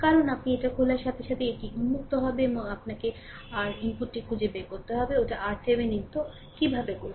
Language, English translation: Bengali, Because, as soon as you will open it, it will be open and you have to find out R input; that is R Thevenin